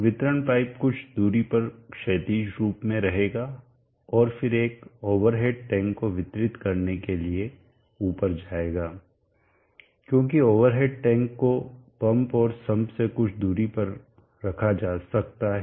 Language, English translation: Hindi, The delivery pipe will travel quite some distance horizontally and then up again to deliver to over at tank, because the over at tank maybe placed at quite some distance from the pump and the sum